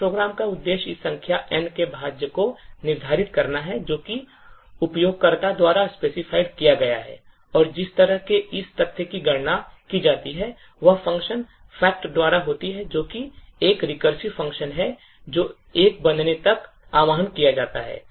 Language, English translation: Hindi, Objective of this particular program is to determine the factorial of this number N which is specified by the user and the way this factorial is computed is by the function fact which is a recursive function that gets invoked until a becomes one